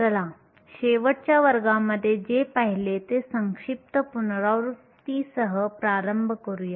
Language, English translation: Marathi, Let us start with the brief recap of last class